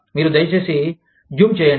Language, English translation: Telugu, Can you please, zoom in